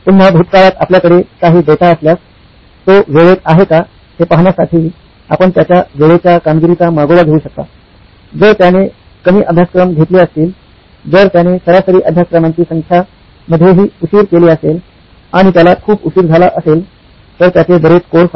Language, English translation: Marathi, Again, in the past if you have some data, you can track his on time performance to see if he is on time, if he has taken fewer courses, if he is late in his average number of courses and he is very late because he has too many courses